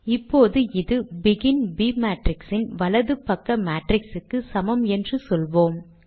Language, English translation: Tamil, Let me now say that this is equal to the right hand side matrix of begin b matrix